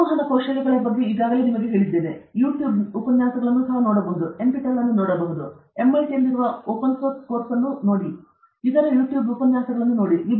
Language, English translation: Kannada, Communication skills I have already told you okay; you can also look at YouTube lectures; you can look at NPTEL; you can look at open course, which are on MIT; you can look at other YouTube lectures